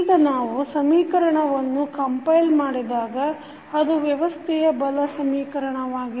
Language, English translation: Kannada, Now, if we compile the equation which is force equation of the system, what we can write